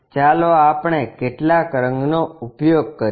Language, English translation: Gujarati, Let us use some color